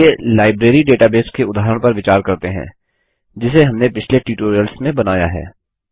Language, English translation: Hindi, Let us consider the Library database example that we created in the previous tutorials